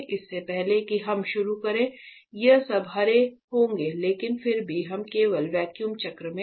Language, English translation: Hindi, So, you are telling us that before we start all these will be green so, but still, we are in the vacuum cycle only